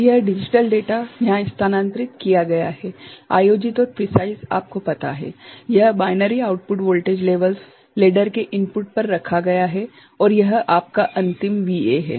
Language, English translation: Hindi, So, this digital data is shifted here, held and precise corresponding you know, this binary outputs voltage levels are placed at the input of the ladder and this is your final VA